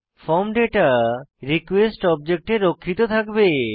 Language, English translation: Bengali, The form data will reside in the request object